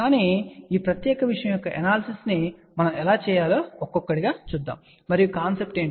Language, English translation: Telugu, But we will see that one by one how do we do the analysis of this particular thing and what are the concept